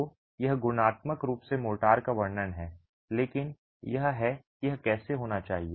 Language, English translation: Hindi, So, that's qualitatively describing the motor, but that is how it should be